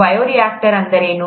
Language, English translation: Kannada, “What is a bioreactor”